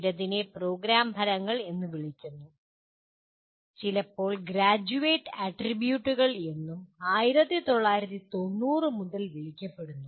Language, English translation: Malayalam, Some called as Program Outcomes, sometimes called Graduate Attributes since 1990s